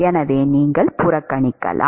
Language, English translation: Tamil, So, you could neglect